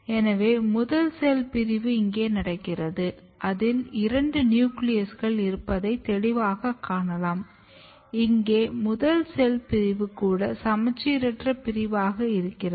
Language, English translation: Tamil, So, first cell division has occur here you can clearly see two nucleus, and if you look here even the first cell division is asymmetric